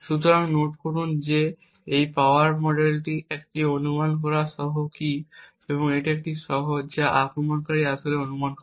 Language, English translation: Bengali, So, note that this power model is with a guessed key, this is with a key that the attacker actually guesses